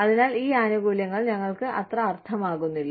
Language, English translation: Malayalam, And then, so these benefits, do not make, so much sense to us